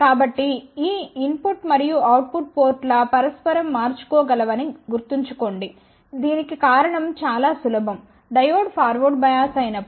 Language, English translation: Telugu, So, remember these input and output ports are interchangeable the reason for that is simple when the diode is forward bias